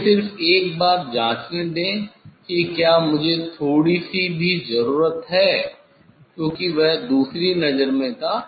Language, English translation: Hindi, let me just check once more it is the whether I need slightly any, because that was in different eye